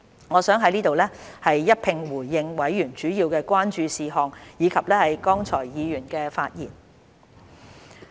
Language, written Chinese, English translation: Cantonese, 我想在此一併回應委員主要關注的事項，以及剛才議員的發言。, I would like to respond to the main concerns of members and the speeches made by Members just now